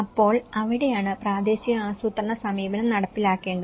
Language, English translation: Malayalam, So, that is where a regional planning approach should be implemented